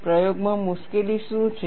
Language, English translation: Gujarati, What is the difficulty in the experimentation